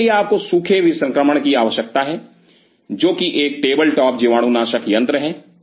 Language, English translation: Hindi, So, for that you need dry sterilization which is a table top sterilizer